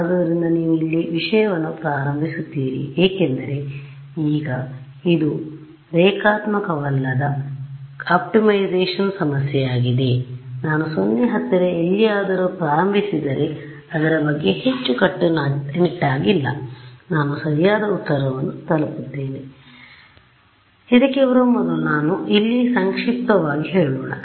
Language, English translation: Kannada, So, where you initialize matters because now this is a non linear optimization problem, but if I started anywhere close to 0 not being very strict about it, I reach the correct answer that much is clear